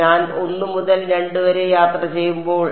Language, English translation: Malayalam, When I travel from 1 to 2